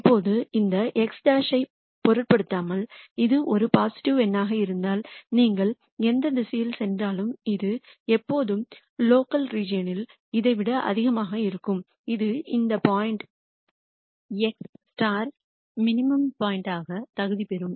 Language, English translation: Tamil, Now, irrespective of this x bar, if this is a positive number then we can say irrespective of whatever direction you take this will always be greater than this in the local region which would qualify this point x star as a minimum point